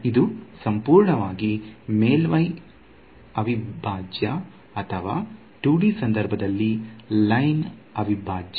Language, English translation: Kannada, It is purely a surface integral or in the 2D case a line integral